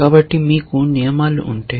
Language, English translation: Telugu, So, if you have these rules